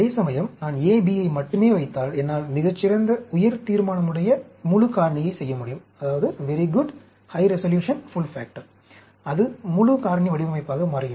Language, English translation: Tamil, Whereas, if I put only A, B, I can do a very good, high resolution, full factor, it becomes a full factorial design